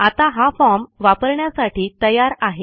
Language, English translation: Marathi, Now this form is ready to use for data entry